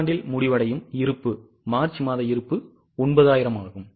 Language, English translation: Tamil, For the quarter the ending inventory is the March inventory that is 9,000